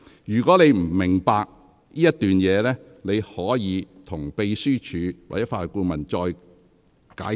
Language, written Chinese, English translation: Cantonese, "如果你不明白這段內容，你可請秘書處或法律顧問再向你解釋。, If you do not understand this passage you may ask the Secretariat or Legal Adviser to explain it to you